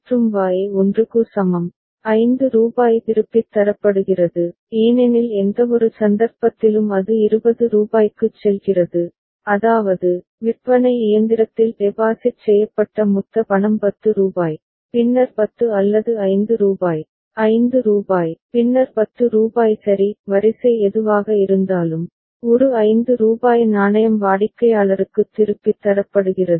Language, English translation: Tamil, And Y is equal to 1, rupees 5 is returned because by any chance it goes to rupees 20 that means, the total money that has been deposited into the vending machine say rupees 10, then rupees 10 or rupees 5, rupees 5, then rupees 10 ok; whatever be the sequence, then a rupees 5 coin is returned to the customer ok